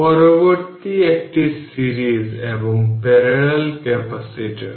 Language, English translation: Bengali, Next one is series and parallel capacitors